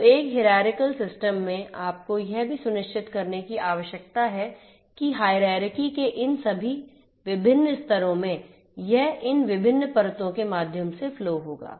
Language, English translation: Hindi, So, in a hierarchical system, you also need to ensure that in all these different levels of hierarchy that the trust flows through these different layers of hierarchy